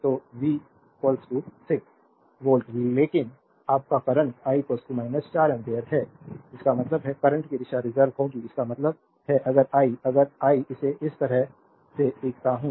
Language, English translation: Hindi, So, V is equal to 6 volt , but your current is I is equal to minus 4 ampere ; that means, the direction of the current will be reverse so; that means, if I for yours understanding if I draw it like this